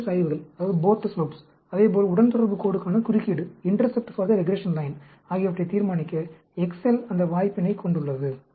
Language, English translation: Tamil, Excel also has that option, to determine both the slope, as well as the intercept for the regression line